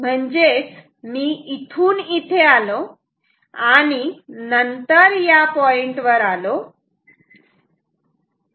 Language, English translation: Marathi, So, I come from here to here and then at this point